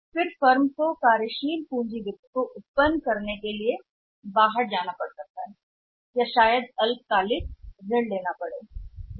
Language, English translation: Hindi, And then the firm has to go out in search of for for the for for generating the working capital finance or maybe having the short term loans or may be the cash credit limit from the banks